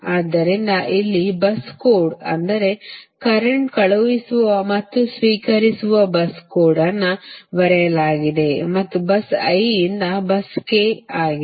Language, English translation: Kannada, they write bus code, that is, i mean current sending and receiving, and bus i, two bus k